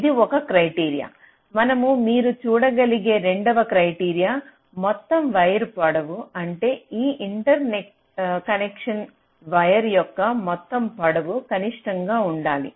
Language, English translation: Telugu, and the second criteria, as you can see, is the total wire length, which means my interconnection should be such that the total length of the wire should be minimum